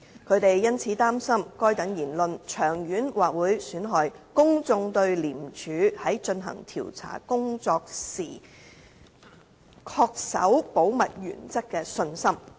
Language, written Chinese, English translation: Cantonese, 他們因此擔心該等言論長遠或會損害公眾對廉署在進行調查工作時恪守保密原則的信心。, They are therefore worried that such remarks may in the long run undermine public confidence in ICACs adherence to the principle of confidentiality when conducting investigations